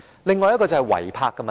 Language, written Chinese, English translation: Cantonese, 另一個是違泊的問題。, Another issue is illegal parking